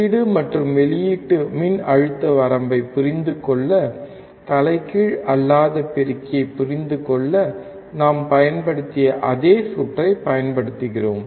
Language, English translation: Tamil, To understand the input and output voltage range, we use the same circuit that we used for understanding the non inverting amplifier